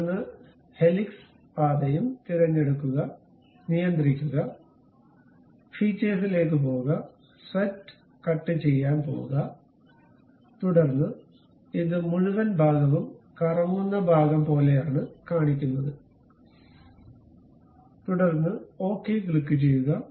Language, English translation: Malayalam, Then pick the helix path also, control, go to features, go to swept cut, then it shows you this entire thing something like revolving kind of portion, and then click ok